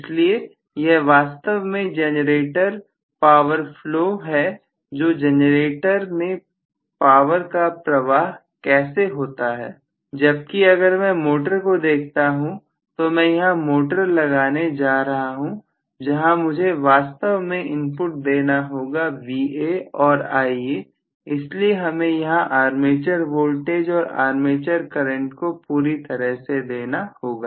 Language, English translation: Hindi, So, this is essentially my generator power flow how exactly the power flow takes place in the generator, whereas if I look at the motor, I am going to have the motor here, where I have to give actually the input at may be Va and Ia, so I have to give armature voltage and armature current totally